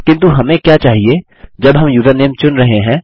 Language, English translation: Hindi, But, what we want is, when we are choosing the username..